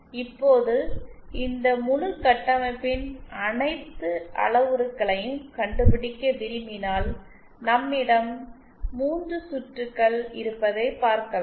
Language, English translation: Tamil, Now if we want to find out the ass parameters of this entire structure then we see that we have 3 circuits